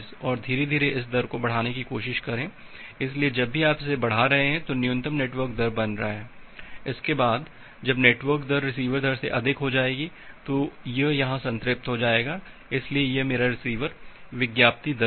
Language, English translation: Hindi, And gradually try to increase it, so whenever you are increasing it the minimum is becoming the network rate after that when the network rate will exceed the receiver rate, it will get saturated here, so this is my receiver advertised rate